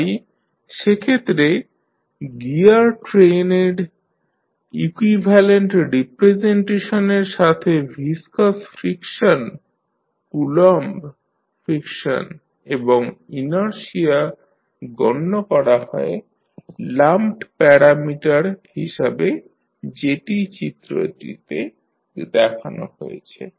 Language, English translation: Bengali, So, in that case the equivalent representation of the gear train with viscous friction, Coulomb friction and inertia as lumped parameters is considered, which is shown in the figure